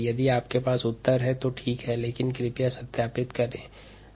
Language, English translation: Hindi, if you have this answer, fine, but please verify